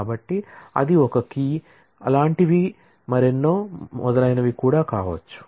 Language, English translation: Telugu, So, that can be a key and so on